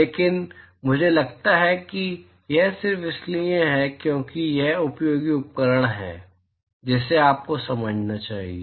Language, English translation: Hindi, But I think it is just for it is a useful tool as what you must understand